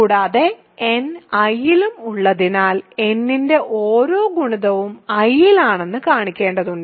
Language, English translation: Malayalam, And, we also need to show that, also since n is there in I, every multiple of n is also in I right